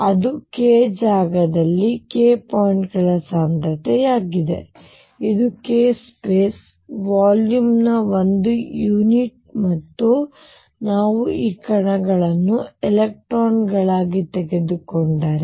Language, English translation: Kannada, That is the density of k points in k space this is per unit of k space volume and if we take these particles to be electrons